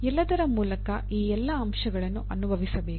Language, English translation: Kannada, Through all that, all these aspects should be experienced